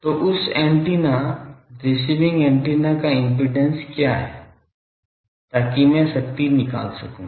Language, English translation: Hindi, So, what is the impedance of that antenna; receiving antenna so that I can extract power